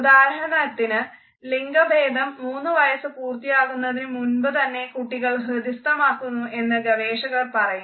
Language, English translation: Malayalam, For example, researchers tell us that gender conditioning is imbibed by a child before he or she has completed 3 years of age